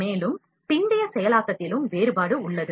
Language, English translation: Tamil, And, there is a difference in post processing as well